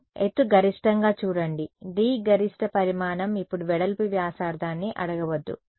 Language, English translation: Telugu, Yeah, height max see D is the maximum dimension do not ask me the width radius now